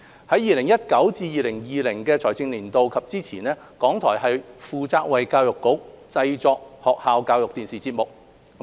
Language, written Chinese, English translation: Cantonese, 在 2019-2020 財政年度及之前，港台負責為教育局製作學校教育電視節目。, During and before the financial year 2019 - 2020 RTHK was responsible for producing ETV programmes for the Education Bureau